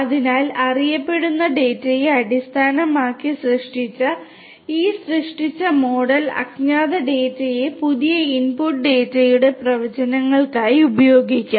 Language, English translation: Malayalam, So, this created model based the model that has been created based on the known data will be used for predictions for the new input data which is the unknown data, right